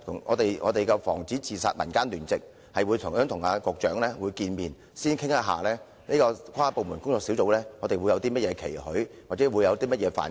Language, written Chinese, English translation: Cantonese, 我們的防止自殺民間聯席已去信邀請局長見面，以表達我們對這個跨部門工作小組有些甚麼期許，或希望其關注的範疇。, The Civil Alliance for Student Suicide Prevention has written to invite the Secretary to a meeting during which we can express our expectations of this task force and the preferred areas of concern